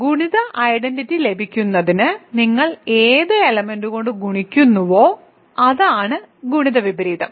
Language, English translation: Malayalam, So, inverse is any element when you multiply you to get the multiplicative identity